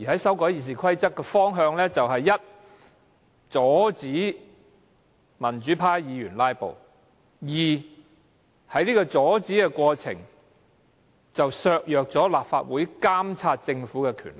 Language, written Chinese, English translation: Cantonese, 修訂《議事規則》有兩個大方向：第一，阻止民主派議員"拉布"；第二，在阻止"拉布"的過程中，削弱立法會監察政府的權力。, RoP will be amended in two directions first to stop pro - democracy Members from filibustering; second in the course of stopping filibustering to curtail the powers of the Legislative Council to monitor the Government